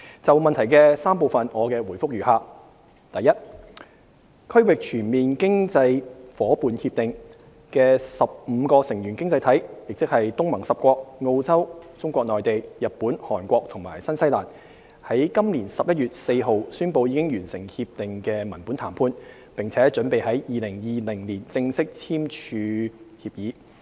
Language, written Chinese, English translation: Cantonese, 就質詢的3個部分，我的答覆如下：一《區域全面經濟伙伴協定》的15個成員經濟體，即東南亞國家聯盟10國、澳洲、中國內地、日本、韓國和新西蘭，於今年11月4日宣布已完成《協定》的文本談判，並準備在2020年正式簽署協議。, My reply to the three parts of the question is as follows 1 On 4 November 15 member economies of the Regional Comprehensive Economic Partnership RCEP namely the ten member states of the Association of Southeast Asian Nations ASEAN Australia Mainland China Japan Korea and New Zealand have announced the conclusion of text - based negotiation and the agreement is expected to be signed in 2020